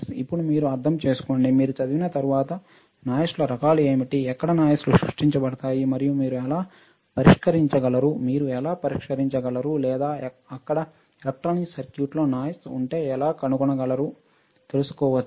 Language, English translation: Telugu, Now, you guys you have to understand, once you read what are the types of noises right, understand where exactly this noises are generated, and how can you solve, how can you solve or how can you find if there is a noise in an electronic circuit ok